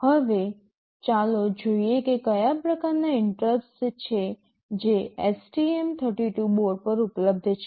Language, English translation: Gujarati, Now, let us see what are the kinds of interrupts that are available on the STM32 board